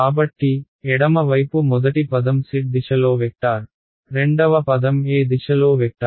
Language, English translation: Telugu, So, the left hand side the first term is a vector in the z direction, second term is a vector in which direction